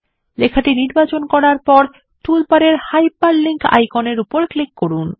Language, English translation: Bengali, After selecting the text, click on the Hyperlink icon in the toolbar